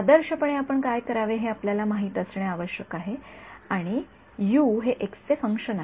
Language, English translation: Marathi, Ideally what you should do you know that U is a function of x